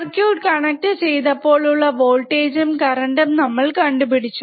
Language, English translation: Malayalam, We have found the current or the voltage at the in first we have connected this circuit